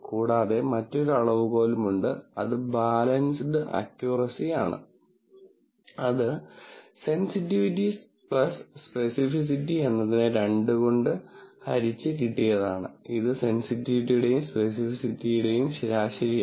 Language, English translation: Malayalam, And there is also another measure, which is balanced accuracy, which is sensitivity plus specificity by 2, that is an average of sensitivity and specificity